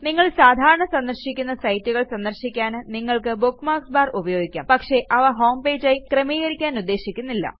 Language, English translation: Malayalam, You can use the bookmarks bar for sites which you visit often, but dont want to have as your homepage